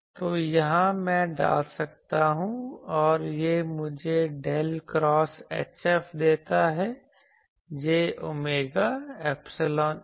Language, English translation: Hindi, So, here I can put and that gives me del cross H F is j omega epsilon E F